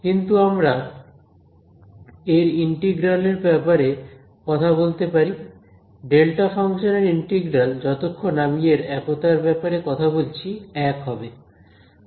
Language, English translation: Bengali, So, but I can talk about it’s integral, the integral of delta function as long as I cover this point of singularity is 1 right